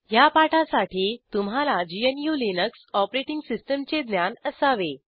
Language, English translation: Marathi, To follow this tutorial, You should be familiar with GNU/Linux Operating System